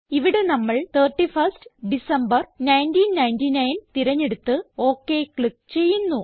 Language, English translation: Malayalam, Here we will choose 31 Dec, 1999 and click on OK